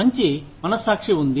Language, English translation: Telugu, There is good conscience